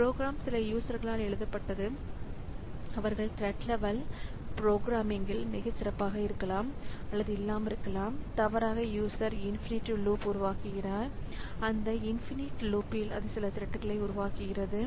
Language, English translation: Tamil, And since the program that we have, so program is written by some user who may or may not be very good in this thread level programming, may be by mistake the user creates an infinite loop and in that infinite loop it creates some threads